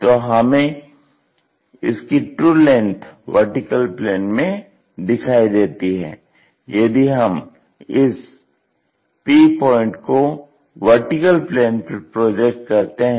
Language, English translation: Hindi, Now, the true length we may be seeing in the vertical plane if we are projecting p on to this VP